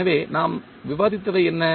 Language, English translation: Tamil, So, what we discussed